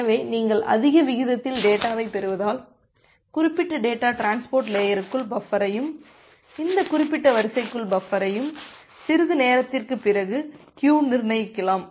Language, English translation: Tamil, So, because you are receiving data at a higher rate so that particular data will get buffer inside the transport layer, buffer inside this particular queue and after sometime, it may happen that the queue becomes full